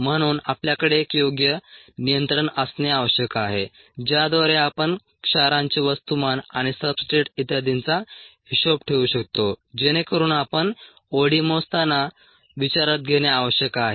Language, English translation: Marathi, so we need to have an appropriate control by which we can account for the mass of salts and substrates and so on, so that we need to take in to account while measuring od